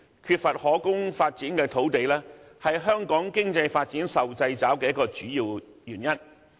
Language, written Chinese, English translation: Cantonese, 缺乏可供發展的土地，是香港經濟發展受掣肘的一個主要原因。, The lack of land for development has all along been one of the main restrictions on Hong Kongs economic development